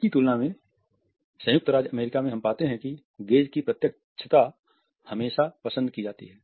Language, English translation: Hindi, In comparison to that in the USA we find that a directness of the gaze is always preferred